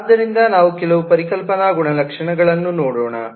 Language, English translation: Kannada, so let us look at some of the conceptual properties